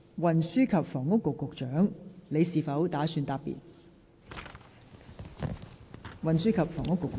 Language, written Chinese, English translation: Cantonese, 運輸及房屋局局長，你是否打算答辯？, Secretary for Transport and Housing do you intend to reply?